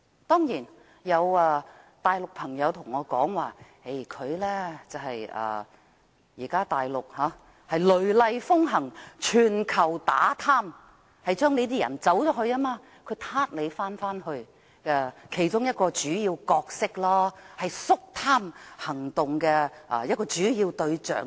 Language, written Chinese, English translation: Cantonese, 當然，有大陸朋友告訴我，現時大陸雷厲風行、全球打貪，他是逃逸後被抓回去的其中一個主要角色，只是肅貪行動的一個主要對象。, Of course I have been told by a friend from the Mainland that the State is now taking vigorous actions to combat corruption globally . XIAO Jianhua is just one of the major players who were arrested and repatriated back to the Mainland after escaping from it . In other words he is merely a major target of the anti - graft operations